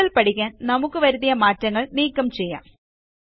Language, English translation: Malayalam, To learn further, let us first undo the changes we made